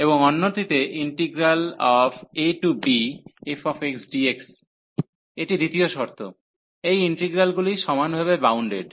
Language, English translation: Bengali, And the other one the integral a to b this f x, this is the second condition, these integrals are uniformly bounded